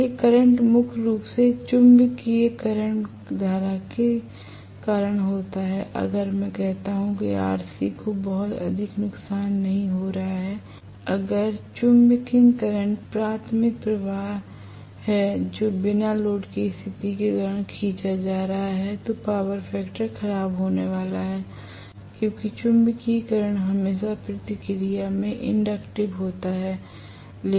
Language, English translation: Hindi, So, the current drawn is primarily due to the magnetizing current, if I say RC is not having much of losses, if magnetizing current is the primary current that is being drawn during no load condition, the power factor is going to be bad, really bad, because magnetizing current is always inductive in nature